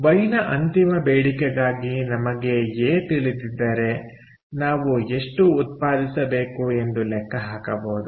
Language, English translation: Kannada, so, for a final demand of y, if we know a, we can calculate how much we have to produce